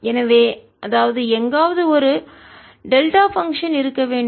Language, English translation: Tamil, so that means there must be a delta function somewhere